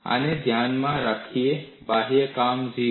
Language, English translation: Gujarati, In view of this, external work done is 0